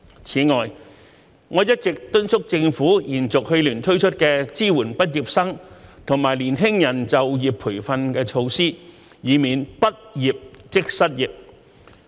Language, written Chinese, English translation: Cantonese, 此外，我一直敦促政府延續去年推出的支援畢業生和年輕人就業培訓措施，以免"畢業即失業"。, In addition I have been urging the Government to extend the measures introduced last year to support the employment training of graduates and young people so as to prevent unemployment upon graduation